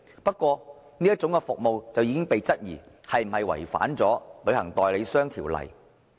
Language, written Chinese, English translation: Cantonese, 不過，這種服務已經被質疑是否違反《旅行代理商條例》。, However queries have already been raised as to whether such services contravene the Travel Agents Ordinance